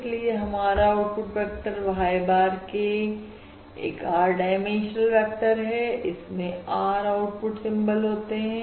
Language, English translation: Hindi, Therefore, the output vector Y bar of k is R dimensional, it has the R output symbols, all right